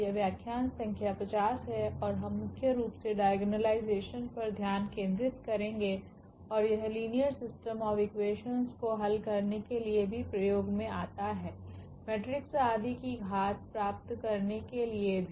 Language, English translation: Hindi, This is lecture number 50 and we will mainly focus on iagonalization and also it is applications for solving system of linear equations, also for getting the power of the matrices etcetera